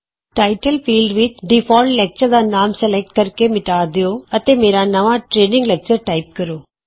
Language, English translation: Punjabi, In the Title field, select and delete the name A default lecture and type My New Training Lecture